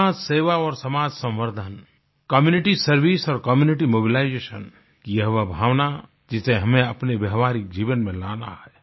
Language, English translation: Hindi, Community service and community mobilization are virtues which we have to imbibe into our real lives